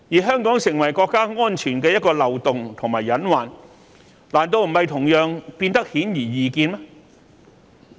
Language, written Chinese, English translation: Cantonese, 香港成為國家安全的一個漏洞和隱患，難道不是同樣變得顯而易見嗎？, Is it not equally obvious that Hong Kong may become a flaw and pose a hidden risk to national security?